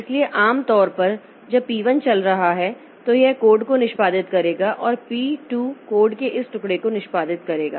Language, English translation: Hindi, So, normally when P1 is running, so it will be executing this piece of code and P2 will be executing this piece of code